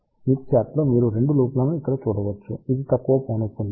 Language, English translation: Telugu, You can see 2 loops in the smith chart over here this is lowest frequency